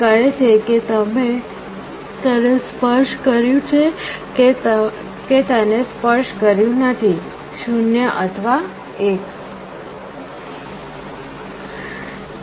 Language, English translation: Gujarati, It says whether you have touched it or not touched it, 0 or 1